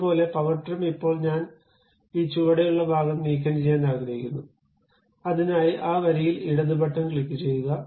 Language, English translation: Malayalam, Similarly, power trim, now I would like to remove this bottom portion, for that purpose, click left button move along that line